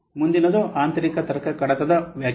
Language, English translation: Kannada, That's why this is internal logical file